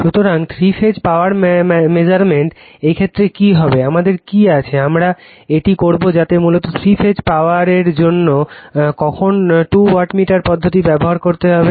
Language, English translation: Bengali, So, in this case ,, in this case your what will what what, your , what we have, we will do it that basically for Three Phase Power when to use to two wattmeter method